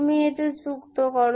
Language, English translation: Bengali, You add this one